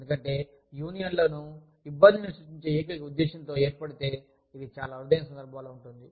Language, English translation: Telugu, Because, unions, if they are formed, with the sole purpose of creating trouble, which is in very rare cases